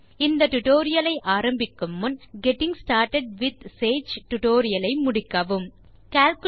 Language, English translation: Tamil, Before beginning this tutorial,we would suggest you to complete the tutorial on Getting started with Sage